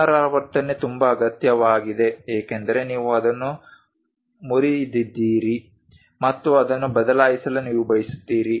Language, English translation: Kannada, Repetition is very much required, because you broke it and you would like to replace it